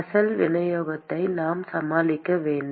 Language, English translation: Tamil, We have to deal with the original distribution